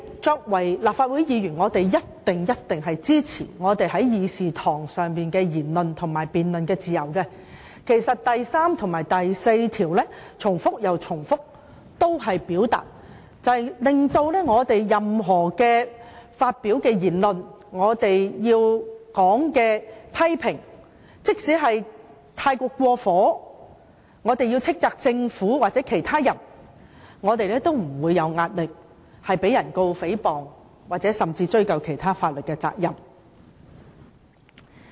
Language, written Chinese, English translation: Cantonese, 作為立法會議員，我們一定支持議事堂上的言論和辯論自由，《條例》第3條及第4條也強調我們發表的任何言論，即使批評過火，即使要斥責政府或任何人，我們也不會有壓力，因為我們不會被控告誹謗或追究其他法律責任。, As Members of this Council we certainly support our freedom of speech and debate in this Chamber . Sections 3 and 4 of the Ordinance also stress that no matter what comments we make even if our criticisms against the Government or anyone are over the top we will not come under any pressure because no proceedings for libel or any other legal responsibility shall be instituted against us